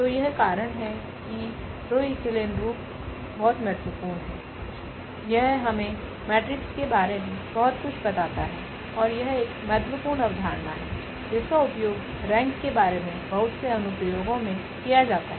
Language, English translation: Hindi, So, this that is that is what this row reduced echelon form is very important, it tells us lot about the matrix and that is one important concept which is used at very applications about this rank